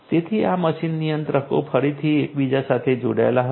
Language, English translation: Gujarati, So, these machine controllers will again be connected with each other